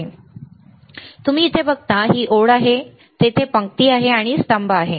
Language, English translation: Marathi, Now, here you see, this line and this line right, there is rows and there is columns